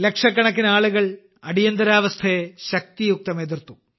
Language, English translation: Malayalam, Lakhs of people opposed the emergency with full might